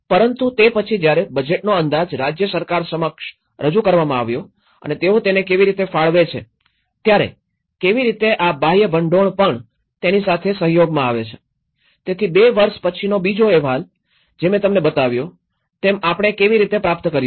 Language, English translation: Gujarati, But then when the budge estimate has been presented to the state government and how they allocate it, how the external funding is also collaborated with it, so after 2 years the second report, which I showed you, how what we have achieved